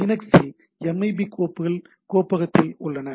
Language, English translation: Tamil, In Linux MIB files are in the directory that particular directory